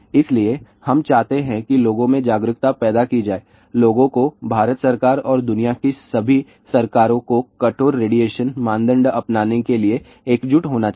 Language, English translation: Hindi, So, we want that the awareness must be created among the people people should unite to convince government of India and all the governments in the world to adopt stricter radiation norm